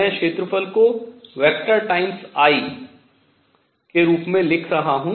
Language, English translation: Hindi, Magnetic moment is given by area, I am writing area as a vector times I